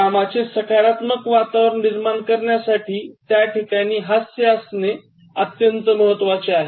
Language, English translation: Marathi, It is important to introduce humour to generate a positive work environment